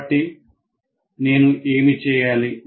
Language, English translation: Telugu, So what do I do